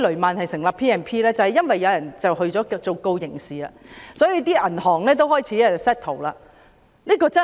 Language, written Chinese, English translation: Cantonese, 便是因為有人向法庭提出刑事訴訟，所以銀行才開始達成和解協議。, It was because someone initiated criminal proceedings hence the banks began to reach settlement agreements